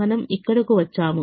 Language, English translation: Telugu, we got here